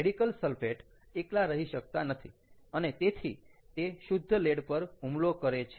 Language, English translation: Gujarati, as the radical sulfate cannot exist alone, it will attack pure lead and will form lead sulfate